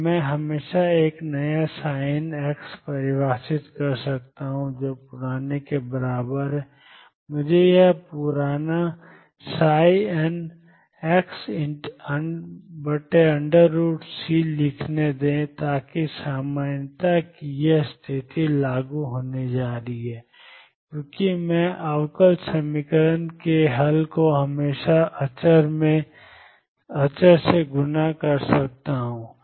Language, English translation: Hindi, That I can always defined a new psi n x which is equal to the old let me write this old psi n x divided by square root of c, So that this condition of normality is going to be enforced because I can always multiply solution of differential equation by constant